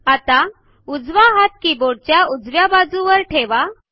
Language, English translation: Marathi, Now, place your right hand, on the right side of the keyboard